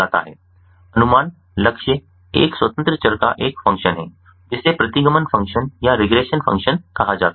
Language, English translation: Hindi, the estimation target is a function of the independent variables called the regression function